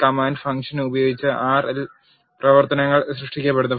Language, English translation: Malayalam, Functions are created in R by using the command function